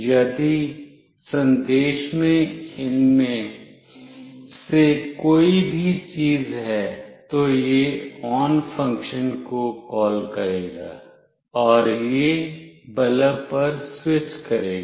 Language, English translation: Hindi, If the message contains any of these things, then it will call the on function, and it will switch on the bulb